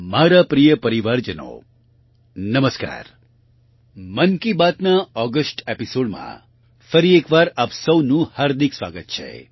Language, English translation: Gujarati, A very warm welcome to you once again in the August episode of Mann Ki Baat